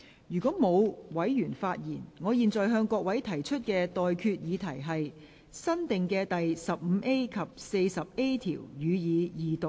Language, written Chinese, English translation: Cantonese, 如果沒有委員想發言，我現在向各位提出的待決議題是：新訂的第 15A 及 40A 條，予以二讀。, If no Member wishes to speak I now put the question to you and that is That new clauses 15A and 40A be read the Second time